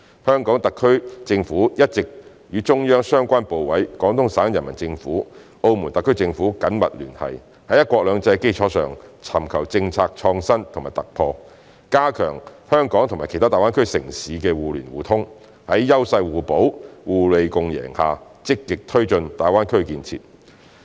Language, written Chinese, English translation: Cantonese, 香港特區政府一直與中央相關部委、廣東省人民政府、澳門特區政府緊密聯繫，在"一國兩制"的基礎上，尋求政策創新和突破，加強香港與其他大灣區城市的互聯互通，在優勢互補、互利共贏下積極推進大灣區建設。, The HKSAR Government has been working closely with the relevant Central authorities the Peoples Government of Guangdong Province and the Macao SAR Government to seek policy innovations and breakthroughs on the basis of one country two systems and improve connectivity between Hong Kong and other GBA cities so as to actively promote GBAs development under the principles of complementarity and mutual benefits